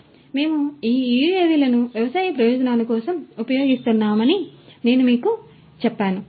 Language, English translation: Telugu, So, I told you that we use these UAVs for agricultural purposes